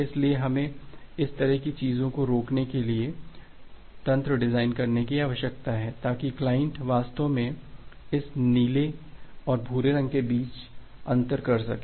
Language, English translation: Hindi, So we need to design mechanism to prevent this kind of things so that the client actually be able to differentiate between this blue and brown